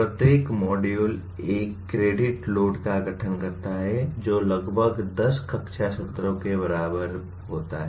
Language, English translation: Hindi, Each module constitute one credit load which is approximately equal to, equivalent to about 10 classroom sessions